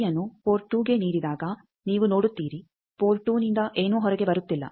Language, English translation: Kannada, Power at port 2, you see nothing is coming out from this port 2